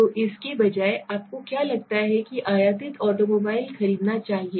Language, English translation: Hindi, So instead of that do you think that American should buy imported automobiles thats all, right